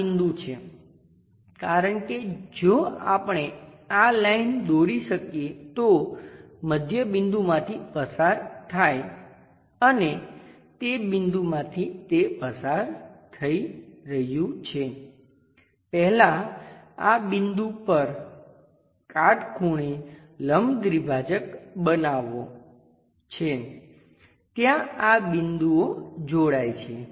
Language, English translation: Gujarati, This is the point, because if we can draw this line constructing midpoint and the point through which it is passing through it first one has to construct a perpendicular bisector to this point, something there something there join these points